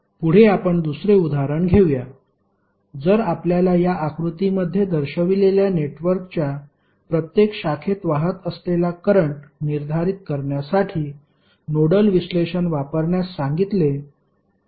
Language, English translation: Marathi, Next let us take another example, if you are asked to use nodal analysis to determine the current flowing in each branch of the network which is shown in this figure